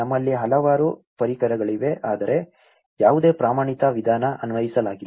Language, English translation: Kannada, We have so many tools but there is no standard approach or a methodology applied